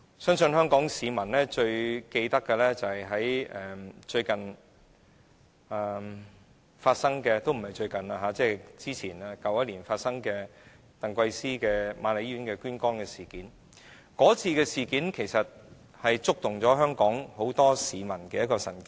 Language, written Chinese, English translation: Cantonese, 相信香港市民仍然記得去年在瑪麗醫院接受捐肝移植手術的鄧桂思事件，這次事件其實觸動了很多香港市民的神經。, I believe Hong Kong people still remember the incident of Ms TANG Kwai - sze who received liver transplant surgery last year at Queen Mary Hospital an incident which has actually touched many people in Hong Kong